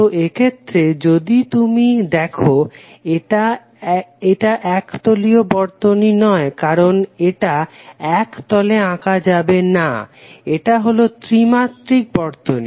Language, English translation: Bengali, So, like in this case if you see it is not a planar circuit because it is not drawn on a plane it is something like three dimensional structure